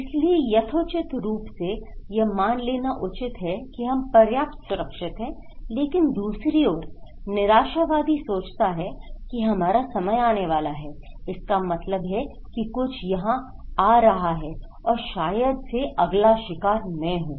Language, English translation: Hindi, So, reasonably enough to assume that we are safe enough but on the other hand a pessimist thinks that we are do, that means something is coming here, right that maybe next is me